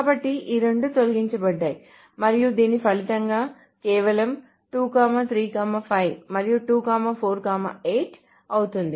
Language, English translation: Telugu, So these two are deleted, and this results in simply 2, 3, 5, and 2, 4, 8